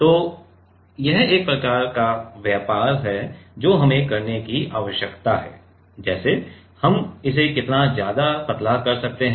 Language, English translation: Hindi, So, it is kind of trade of we need to do like what is the maximum we can make it thin